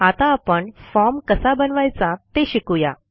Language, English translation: Marathi, Now, let us learn how to create a form